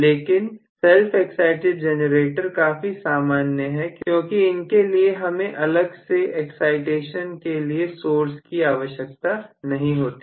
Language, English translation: Hindi, But self excited generator is quite commonly used because of the fact that I do not need a separate excitation source